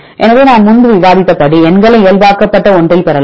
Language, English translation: Tamil, So, you can get the numbers into normalized one as I discussed earlier